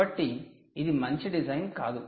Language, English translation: Telugu, so this is not a good design, right